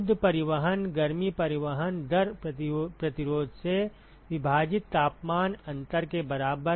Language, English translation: Hindi, Net transport, heat transport rate equal to temperature difference divided by resistance